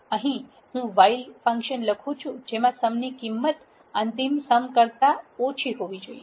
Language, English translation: Gujarati, This is how I write a while function while sum is less than final sum